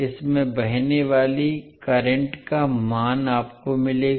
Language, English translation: Hindi, You will get the value of current flowing in this